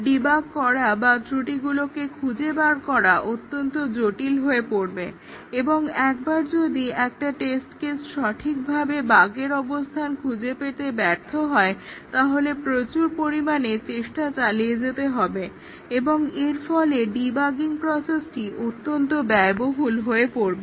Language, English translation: Bengali, It becomes very difficult to debug or localize the error and therefore, huge amount of effort needs to be spent once a test case fail to find out where exactly is the bug and therefore, the debugging process becomes extremely expensive